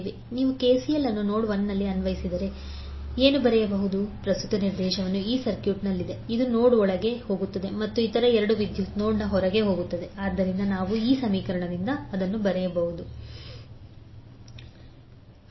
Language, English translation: Kannada, So if you apply KCL and node 1, what you can write, the current direction is in this site which is going inside the node and other 2 currents are going outside the node So we can write that 20 minus that is volters